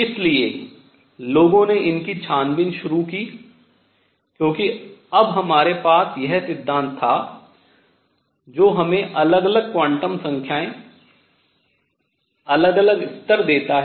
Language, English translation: Hindi, So, people started investigating these, because now we had this theory that gave us different quantum numbers, different levels and what all was there all right